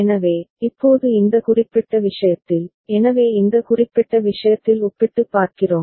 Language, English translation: Tamil, So, now in this particular case, so we have in this particular case just by comparison